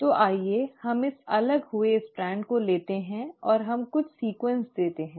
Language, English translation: Hindi, So let us take this separated strand and let us let us give it some sequence